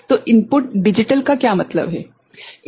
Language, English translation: Hindi, So, input is digital means what